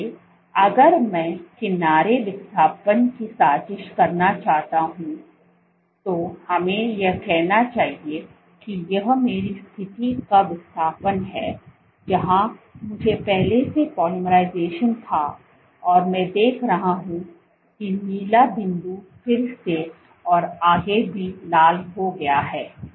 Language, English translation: Hindi, So, if I want to plot the edge displacement let us say this is my edge displacement at the position where I had polymerization previously what I see and the rest points blue again I have red and so on and so forth